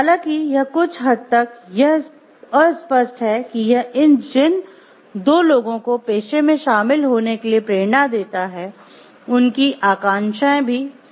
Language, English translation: Hindi, But though it is vague to some extent, but it gives a general inspiration for the people to have who will be joining this profession to have similar aspirations